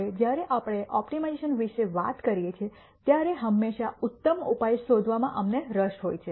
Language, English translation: Gujarati, Now, when we talk about optimization we are always interested in nding the best solution